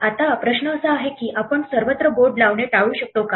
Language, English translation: Marathi, Now the question is can we avoid passing the board around all over the place